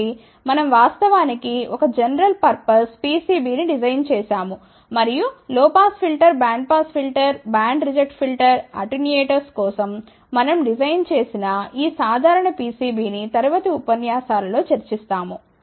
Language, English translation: Telugu, So, we have actually designed a general purpose pcb and I just want to mention to you that this general pcb we had designed for low pass filter, bandpass filter, band reject filter , attenuators also which we will discuss in the later lectures